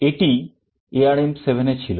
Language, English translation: Bengali, This was what was there in ARM7